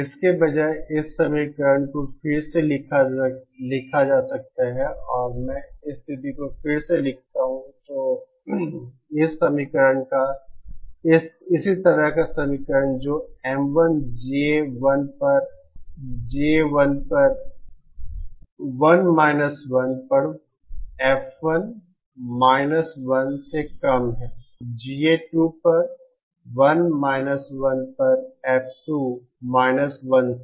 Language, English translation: Hindi, Instead, this equation can be rewritten as, if I rewrite the situation, the same equation like this that M1 equal to F1 1 upon 1 1 upon GA1 is lesser than F2 1 upon 1 1 upon GA2